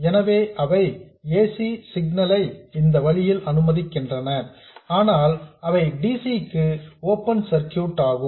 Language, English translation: Tamil, So, they let the AC signal through this way but they are open circuits for DC